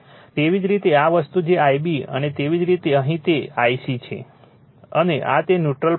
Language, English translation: Gujarati, Similarly, for your this thing I b right, and similarly for here it is I c right, and this is that neutral point N